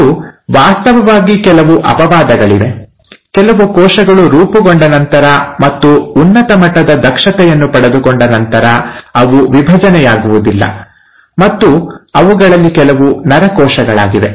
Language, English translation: Kannada, And there are in fact, few exceptions where certain set of cells, after they have been formed and they have acquired high level of efficiency, they do not divide, and some of them are the nerve cells